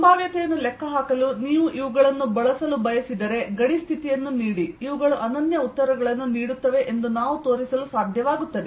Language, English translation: Kannada, if you want to use these to calculate potential, we should be able to show that these gives unique answers given a boundary condition